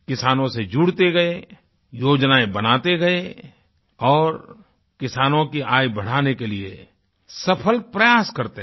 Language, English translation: Hindi, This trust remained associated with farmers, drew plans and made successful efforts to increase the income of farmers